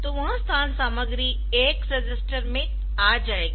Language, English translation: Hindi, So, that locations content will come to the AX register